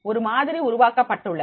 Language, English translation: Tamil, the models will be developed